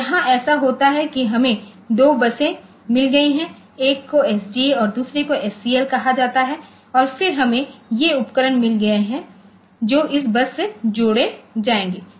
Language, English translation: Hindi, So, here what happens is that we have got two buses one is called this SDA and another is called SCL, and then we have got these devices that will hang from this buses